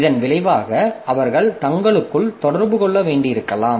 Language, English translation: Tamil, So, as a result, they may need to interact between themselves